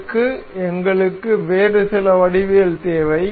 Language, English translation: Tamil, For this we need some other geometry